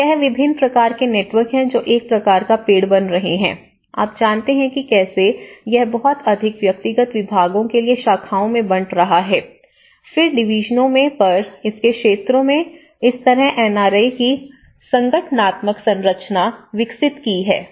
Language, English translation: Hindi, So, it is a variety of networks which is forming under a kind of tree you know, how it is branching out to a much more individual departments, then later on the divisions, later on to the sectors of it, so that is how it organizational structure of NRAs